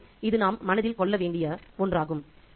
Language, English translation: Tamil, So, we need to keep that in mind